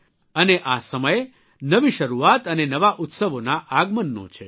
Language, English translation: Gujarati, And this time is the beginning of new beginnings and arrival of new Festivals